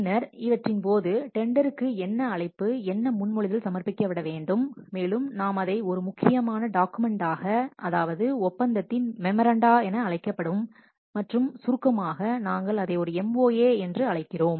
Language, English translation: Tamil, Then during this what invitation to tender proposals will be submitted and we have to what no one important document called as memoranda of agreement or in short we call as MOA